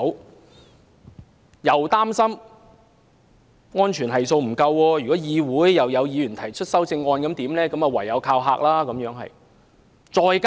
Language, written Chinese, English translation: Cantonese, 政府既擔心安全系數不足，又怕議員會提出修正案，於是唯有"靠嚇"。, The Government being worried about the lack of safe factors and fearing the amendments proposed by Members has therefore resorted to threatening tactics